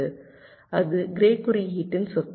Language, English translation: Tamil, right, that is the property of grey code